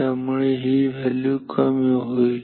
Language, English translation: Marathi, So, this value is decreasing